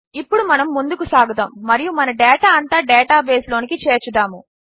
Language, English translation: Telugu, Now we will go ahead and add all our data into our data base